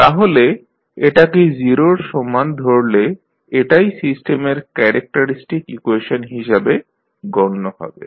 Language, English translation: Bengali, So, you will set this equal to 0, so this will be nothing but the characteristic equation of the system